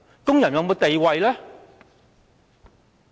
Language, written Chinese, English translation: Cantonese, 工人有沒有地位？, Do the workers have any status?